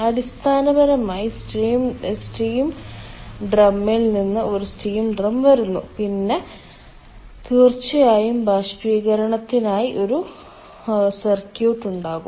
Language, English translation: Malayalam, basically then there is a steam drum, it is, it is coming from the steam drum and then of course, ah, for evaporation there will be a circuit